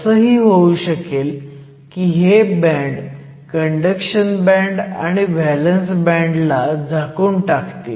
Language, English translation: Marathi, So, these represent the conduction band and the valence band